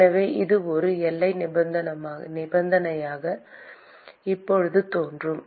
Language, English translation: Tamil, So, that will appear now as a boundary condition